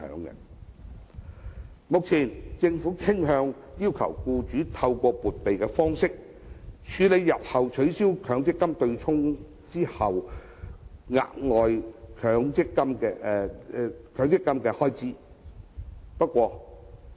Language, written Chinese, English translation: Cantonese, 目前政府傾向要求僱主透過撥備的方式，處理日後取消強積金對沖後的額外強積金開支。, At present the Government tends to require employers to set aside a provision to meet the additional MPF expenditure after the abolition of the offsetting arrangement